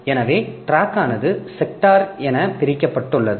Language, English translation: Tamil, So, the track is divided into sectors